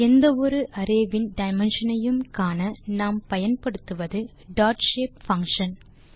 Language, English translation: Tamil, To check the dimensions of any array, we can use dotshape function